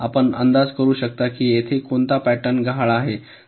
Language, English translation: Marathi, so can you guess which pattern is missing here